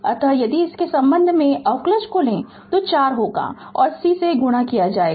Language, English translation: Hindi, So, if you take the derivative with respect to it will we 4 and multiplied by C